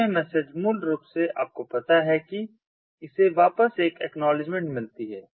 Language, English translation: Hindi, so this message basically you know its gets an acknowledgement back, so its a confirmable message